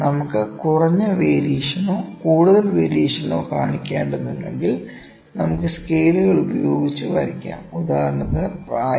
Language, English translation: Malayalam, If, we need to show less variation or more variation, we can just cheat with the scales instance if I need to like show the age